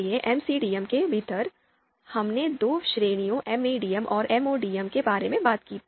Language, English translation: Hindi, So within MCDM, we talked about two categories MADM and MODM